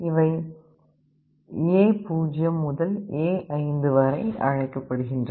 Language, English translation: Tamil, These are called A0 to A5